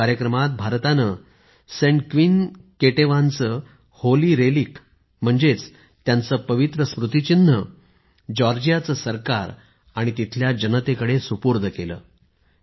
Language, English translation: Marathi, In this ceremony, India handed over the Holy Relic or icon of Saint Queen Ketevan to the Government of Georgia and the people there, for this mission our Foreign Minister himself went there